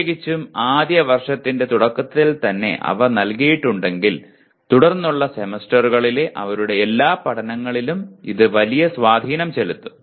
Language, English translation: Malayalam, If they are given early especially in the first year, it will have a great impact on all their learning in the following semesters